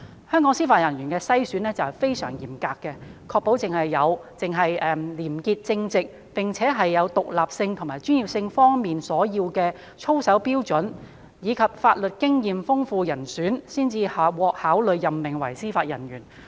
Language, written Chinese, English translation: Cantonese, 香港對司法人員的篩選非常嚴格，確保只有廉潔正直，並且符合獨立性和專業性所要求的操守標準，以及具備豐富法律經驗的人選，才會獲考慮任命為司法人員。, Very stringent standards are applied in Hong Kong in the selection of Judicial Officers to ensure that only candidates demonstrating a high degree of integrity and probity meeting the standards of conduct required in respect of independence and professionalism and possessing extensive legal experience will be considered for appointment as Judicial Officers